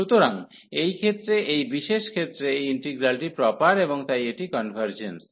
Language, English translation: Bengali, So, for this case this is special case and this integral is proper and hence it is convergent